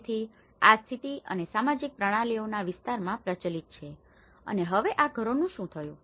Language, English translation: Gujarati, So, this is the condition, social systems which has been prevalent in these areas and now what happened to these houses